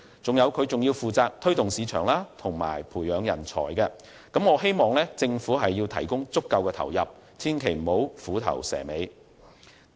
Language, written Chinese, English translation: Cantonese, 此外，金發局亦負責推動市場和培養人才，所以我希望政府提供足夠的投入，不要虎頭蛇尾。, Furthermore FSDC is also responsible for promoting market development and nurturing talent I therefore hope that the Government will provide adequate input and avoid making a fine start but a poor finish